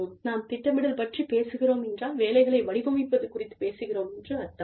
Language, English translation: Tamil, When we talk about planning, we are talking about, designing jobs